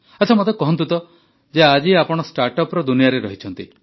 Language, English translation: Odia, Ok tell me…You are in the startup world